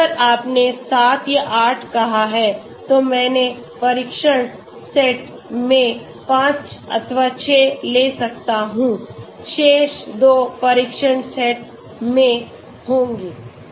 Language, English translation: Hindi, So if you have say 7 or 8, I may take 5 or 6 in the training set, the remaining 2 will be in the test set